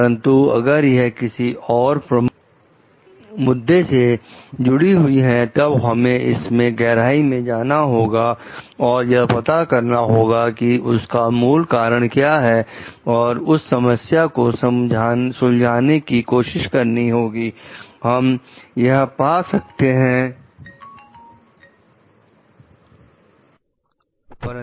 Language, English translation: Hindi, But if it is related to some other major issues, then we need to go to the like deep of it to find out the root cause and then try to solve that problem, like we find food is maybe one very common complaint about